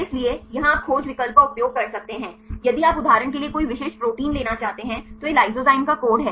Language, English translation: Hindi, So, here you can use the search option right you can if you want to have any specific protein you for example, this is the code for the lysozyme